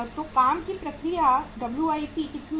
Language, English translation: Hindi, So work in process is WIP is how much